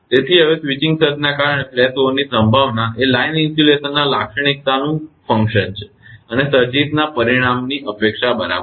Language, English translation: Gujarati, So, now the probability of flashover due to a switching surge is a function of the line insulation characteristic and the magnitude of the surges expected right